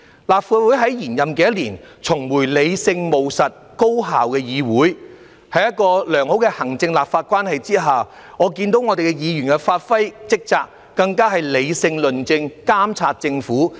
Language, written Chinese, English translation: Cantonese, 立法會在延任的一年重回理性、務實、高效的議會，在良好的行政立法關係下，我看到議員發揮職責，理性論政和監察政府。, In this year when the Legislative Council term is extended we have returned to a rational pragmatic and efficient legislature . With a good executive - legislature relationship Members have performed their duties rationally discussed policies and monitored the Government